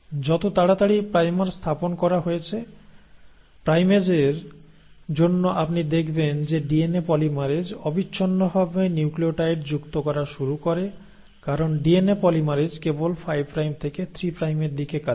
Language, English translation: Bengali, As soon as the primer has been put in, thanks to the primase you find that the DNA polymerase continuously starts adding the nucleotides because DNA polymerase works only in the direction of a 5 prime to 3 prime direction